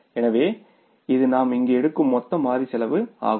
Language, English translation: Tamil, This is the total variable cost we calculated here